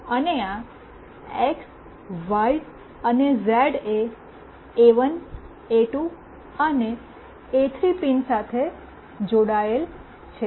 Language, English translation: Gujarati, And this x, y, and z is connected to pin A1, A2, and A3